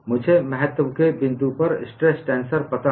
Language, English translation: Hindi, I know the stress tensor at the point of interest